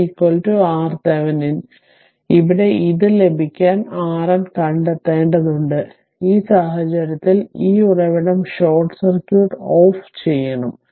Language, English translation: Malayalam, So, in that case to get this your ah here you have to find out R N right; in that case this source should be turned off short circuit